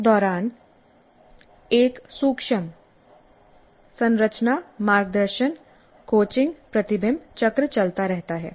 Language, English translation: Hindi, And during this, there is a subtle structure guidance coaching reflection cycle that goes on